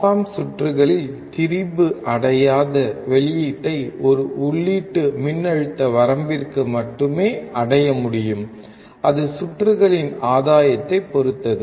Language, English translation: Tamil, In op amp circuits, undistorted output can only be achieved for a range of input voltage, and that depends on gain of the circuit